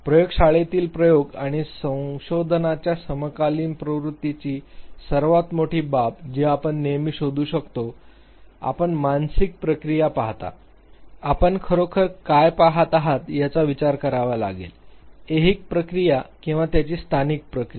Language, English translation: Marathi, One of the biggest things that one will always find as far as the contemporary trend of lab experimentations and research are concerned, you look at the mental process, you have to finally consider what are you actually looking at the temporal process or their spatial process